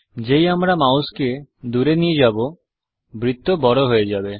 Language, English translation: Bengali, As I move the mouse, the circle becomes bigger